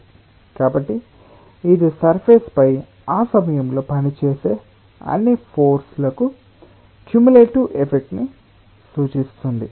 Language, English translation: Telugu, so it represents a cumulative effect of all forces which are acting at that point on the surface